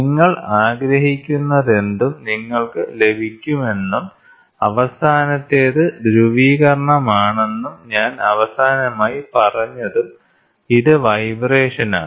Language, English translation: Malayalam, So, that you get whatever you want and the last one is polarisation, which I said last time also it is the vibration